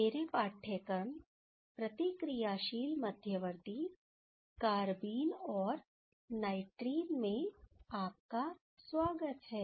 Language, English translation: Hindi, Welcome to my course Reactive Intermediates, Carbenes and Nitrenes